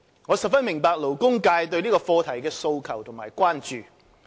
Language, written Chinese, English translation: Cantonese, 我十分明白勞工界對這個課題的訴求及關注。, I fully understand the labour sectors aspirations and concerns about this issue